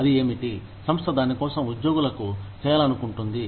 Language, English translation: Telugu, What is it that, the company wants to do, for its employees